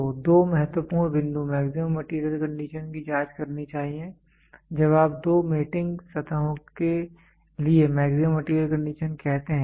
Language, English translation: Hindi, So, two important points it should check for maximum material condition when you say maximum material condition for two mating surfaces